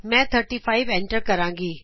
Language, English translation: Punjabi, I will enter 25